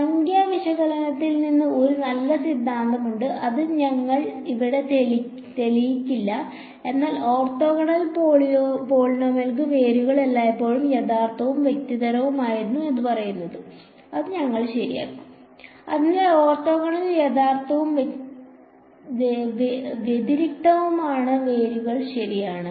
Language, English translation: Malayalam, There is a nice theorem from numerical analysis which we will not prove over here, but it says that for orthogonal polynomials the roots are always real and distinct, we will just use it ok; so, for orthogonal real and distinct roots alright ok